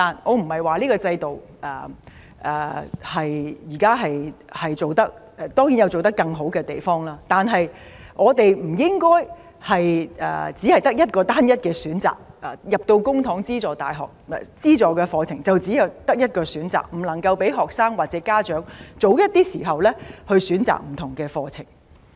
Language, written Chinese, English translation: Cantonese, 我不是評論這個制度，而當然這個制度可以做得更好，但我們不應該只有單一選擇，公帑資助的課程只有一個選擇，不能夠讓學生或家長早一點選擇不同課程。, I am not criticizing the system but it can certainly be improved . Nevertheless our publicly - funded programmes should not provide only one option . This will prevent students and parents from choosing alternative programmes at an earlier stage